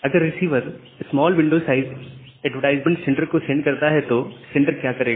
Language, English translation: Hindi, So, if it sends this window size small window size advertisement to the sender, what the sender will do